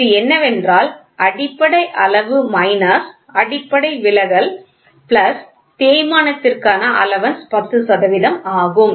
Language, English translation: Tamil, So, this is nothing, but basic size minus fundamental deviation plus wear allowance wear allowance is what it is 10 percent, right